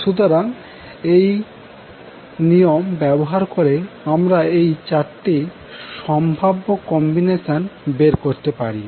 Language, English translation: Bengali, So, using these 2 rules, we can figure out that there are 4 possible combinations